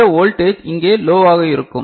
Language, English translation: Tamil, So, this voltage will be low over here